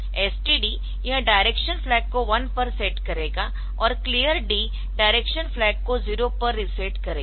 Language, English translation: Hindi, So, this STD it will set that direction flag to 1 and clear D, it will reset the direction flag to 0